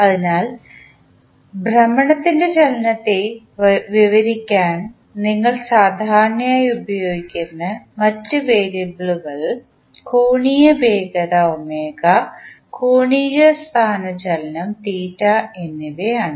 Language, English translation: Malayalam, So, other variables which we generally use to describe the motion of rotation are angular velocity omega and angular displacement theta